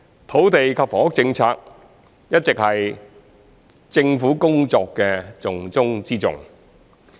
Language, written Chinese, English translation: Cantonese, 土地及房屋政策一直是政府工作的重中之重。, Land and housing policies have always been the top priority among the Governments work